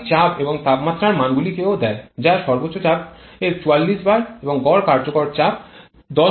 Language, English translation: Bengali, The maximum pressure and temperature values are also given or maximum pressure rather 44 bar and 10